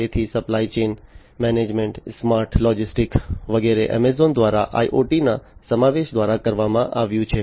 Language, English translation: Gujarati, So, supply chain management, smart logistics etcetera, have been have been done by Amazon through the incorporation of IoT